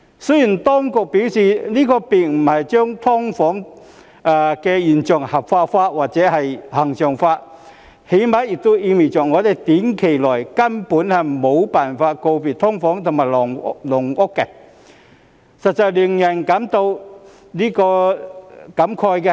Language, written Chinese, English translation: Cantonese, 雖然當局表示這並不是要將"劏房"現象合法化、恆常化，但最低限度也意味着我們在短期內根本無法告別"劏房"和"籠屋"，實在令人感慨。, Although the authorities said that this is not to legitimize and regularize the SDU phenomenon at least it implies that we will not be able to bid farewell to SDUs and caged homes in the short run . This is indeed emotional